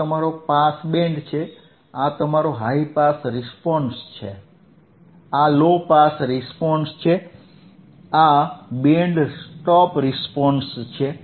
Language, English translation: Gujarati, This is your pass band, this is your pass band, this is your high pass response, low pass response, this is reject; so band stop response